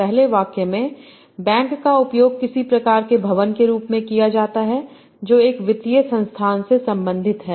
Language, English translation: Hindi, In the first sentence, the bank is used as some sort of building that belongs to a financial institution